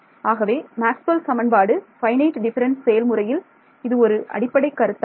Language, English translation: Tamil, So this is the basic idea Maxwell’s equations finite differences